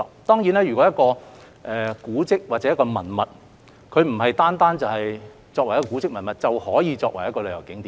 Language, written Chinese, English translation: Cantonese, 當然，一個古蹟或文物不單是作為古蹟文物便可以作為旅遊景點的。, Certainly a historic relic or monument may not necessarily become a tourist spot just by being a historic relic or monument